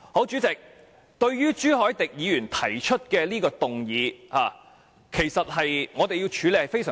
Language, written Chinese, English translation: Cantonese, 主席，朱凱廸議員提出的議案其實難以處理。, President the motion proposed by Mr CHU Hoi - dick is indeed difficult to handle